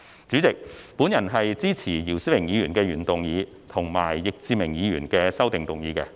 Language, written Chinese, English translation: Cantonese, 主席，我支持姚思榮議員的原議案，以及易志明議員的修正案。, President I support the original motion of Mr YIU Si - wing and the amendment proposed by Mr Frankie YICK